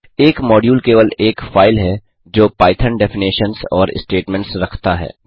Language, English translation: Hindi, A module is simply a file containing Python definitions and statements